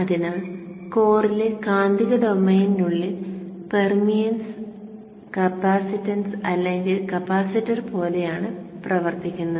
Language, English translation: Malayalam, So within the magnetic domain, the permians, the core behaves very much like the capacitance or capacitor